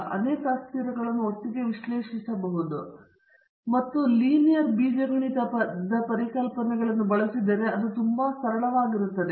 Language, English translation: Kannada, You can analyze several variables together and if you use the linear algebra concepts, it becomes very straightforward